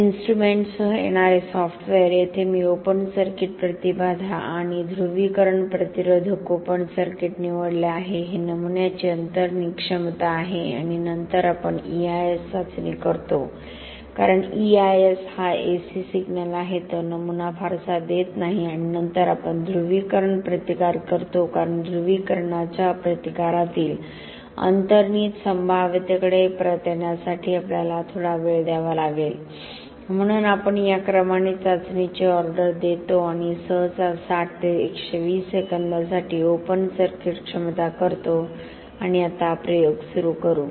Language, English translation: Marathi, This is the carver software that comes with the instrument here I have chosen open circuit impedance and polarisation resistance open circuit is the inherent potential of the specimen and then we do a EIS test because EIS is the AC signal it doesnít offer the specimen much and then we do a polarisation resistance because we need to have some time lapse to come back to the inherent potential in polarisation resistance